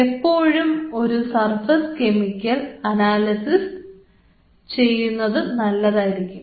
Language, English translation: Malayalam, It is always a good idea to do a surface chemical analysis